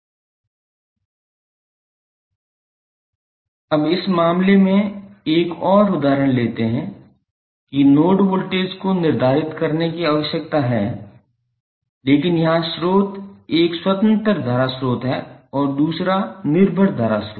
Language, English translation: Hindi, Now, let us take one another example in this case the node voltage needs to be determine but here the source is one is independent current source and second is the dependent current source